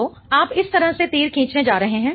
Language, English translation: Hindi, So, you are going to draw the arrow like this